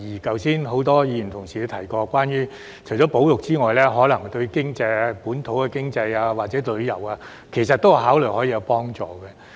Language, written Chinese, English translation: Cantonese, 剛才很多議員也提到，除了保育，事件可能對本土經濟或旅遊也有幫助。, Just now many Members said that the incident may have a positive impact on local economy or tourism in addition to conservation . However such enthusiasm will often wane rapidly